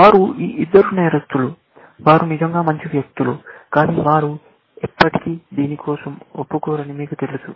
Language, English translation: Telugu, So, they are these two criminals, who were really good guys, but you know, they will never confess for anything